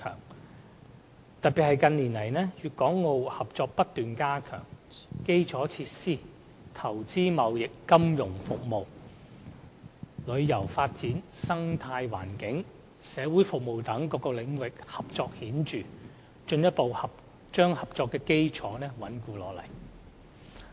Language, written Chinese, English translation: Cantonese, 特別值得注意的是，在近年來，粵港澳合作不斷加強，在基礎設施、貿易投資、金融服務、旅遊發展、生態環保、社會服務等各個領域的合作，均取得顯著的成效，進一步穩固合作基礎。, And in fact we must note in particular that the cooperation among Guangdong Hong Kong and Macao has kept growing stronger in recent years . Marked results have been achieved in many areas of cooperation such as infrastructure facilities trade and investment financial services tourism development environmental protection and social services . The basis of cooperation has turned ever stronger